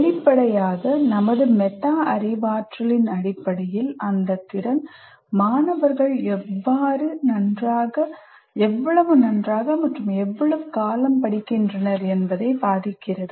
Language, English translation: Tamil, Now, obviously based on this, based on our own metacognition, that ability affects how well and how long students study